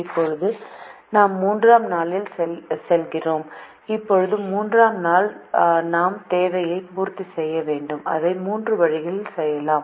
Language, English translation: Tamil, now, the third day, we have to meet the demand and we can do it in three ways